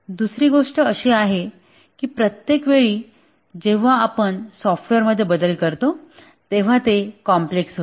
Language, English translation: Marathi, The second thing is that each time we make a change to a software, the greater becomes its complexity